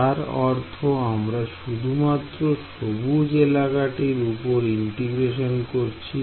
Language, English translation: Bengali, So, that you are integrating only over this green region right